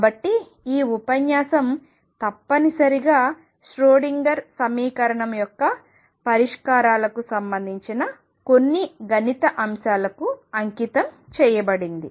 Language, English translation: Telugu, So, this lecture is essentially devoted to some mathematical aspects related to the solutions of the Schrodinger equation